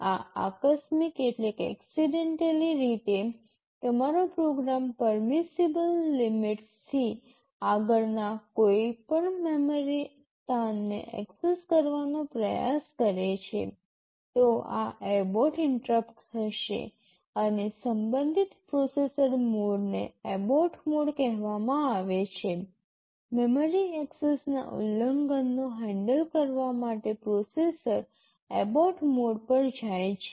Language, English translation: Gujarati, If accidentally your program tries to access any memory location beyond the permissible limits, this abort interrupt will be generated and the corresponding processor mode is called the abort mode; for handling memory access violations the processor goes to the abort mode